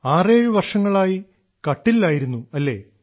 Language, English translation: Malayalam, For 67 years I've been on the cot